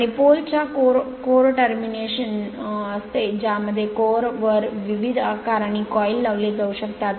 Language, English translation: Marathi, And consist of core terminating in a pole shoe which may have various shapes and coil mounted on the core